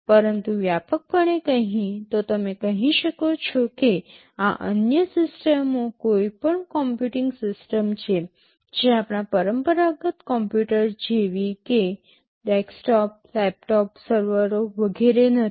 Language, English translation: Gujarati, But broadly speaking you can say that these other systems are any computing system, which are not our conventional computers like desktop, laptop, servers etc